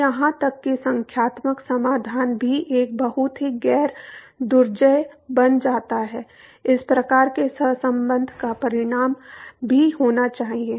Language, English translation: Hindi, So, even numerical solution become a very very non formidable also one has to result to these kinds of correlation